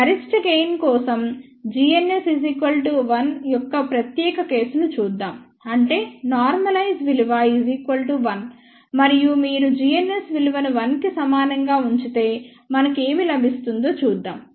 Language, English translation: Telugu, Let just look at the special case, for maximum gain g ns is equal to 1; that means, normalize value is equal to 1 and if you put g ns equal to 1 here let us see what we get